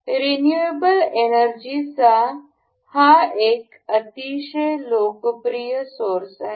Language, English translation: Marathi, This is a very popular source of renewable energy